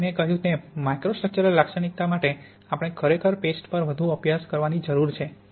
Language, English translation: Gujarati, Now as I said for microstructural characterization we really want to look more at paste